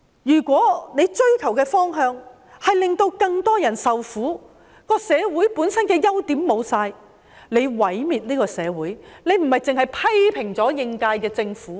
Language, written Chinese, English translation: Cantonese, 如果你追求的方向是令到更多人受苦，令到社會本身的優點全都失去，你這樣做是毀滅這個社會，而不單是批評應屆政府。, If the direction that you are pursuing will result in the suffering of more people and the loss of all merits of society itself you are destroying this society instead of merely criticizing the incumbent Government